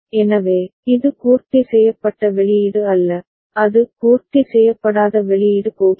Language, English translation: Tamil, So, it is not complemented output, it is uncomplemented output is going